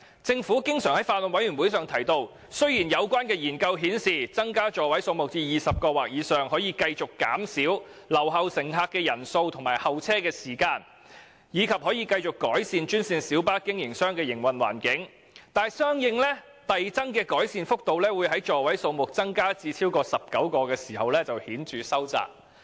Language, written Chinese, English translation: Cantonese, 政府經常向法案委員會表示："雖然有關研究顯示增加座位數目至20個或以上可繼續減少留後乘客的人數和候車時間，以及可繼續改善專線小巴營辦商的營運環境，但相應遞增的改善幅度會在座位數目增加至超過19個時顯著收窄。, The Government has often told the Bills Committee that while the study shows that increasing the seating capacity to 20 or above may continue to reduce the number of left - behind passengers and the waiting time as well as continue to improve the operating environment of GMB [ie . green minibus] operators the corresponding magnitude of the incremental improvements would diminish noticeably beyond 19 seats